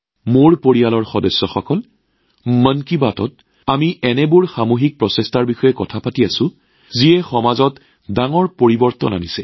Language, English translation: Assamese, My family members, in 'Mann Ki Baat' we have been discussing such collective efforts which have brought about major changes in the society